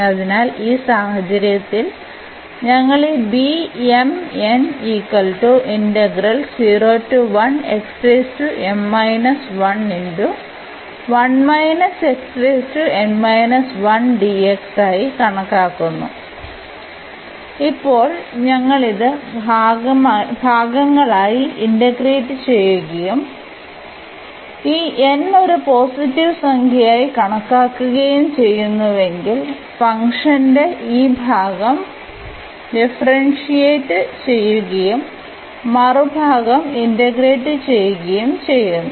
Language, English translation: Malayalam, So, in this case we consider this beta m, n the given integral and now, if we integrate this by parts and taking that this n is taken as a positive integer so, we will differentiate this part of the function and then this will be for the integration when we do this integration by parts